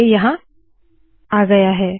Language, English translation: Hindi, It has come now